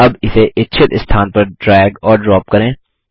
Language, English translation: Hindi, Now drag and drop it in the desired location